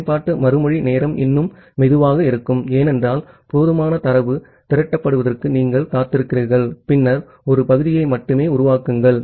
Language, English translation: Tamil, The application response time will be still little slow, because you are waiting for sufficient data to get accumulated and then only create a segment